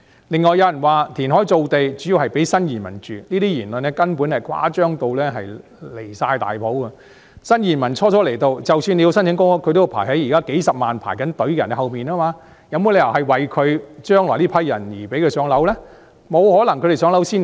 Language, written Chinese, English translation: Cantonese, 另外，有人說填海造地計劃，主要是為了建屋給新移民居住，這言論根本是誇張得離譜，新移民初到埗，即使申請公屋，都要排在現時數十萬輪候人士後面，怎可能說填海造地計劃是為了將來讓這群人"上樓"呢？, Besides some have also contended that the relevant reclamation projects are mainly intended for constructing housing for new arrivals . This assertion is simply a ridiculous exaggeration . Even if new arrivals apply for public housing upon settling in Hong Kong they must still queue up behind the existing several hundred thousand applicants in the line